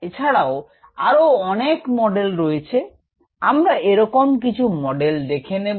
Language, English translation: Bengali, there are many such models and ah, we will see some of them